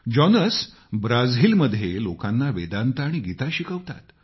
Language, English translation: Marathi, Jonas teaches Vedanta & Geeta to people in Brazil